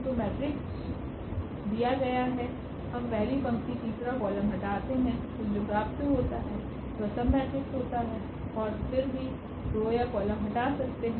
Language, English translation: Hindi, So, matrix is given we remove let us say first row, the third column then whatever left this matrix is a submatrix or we can remove more rows more columns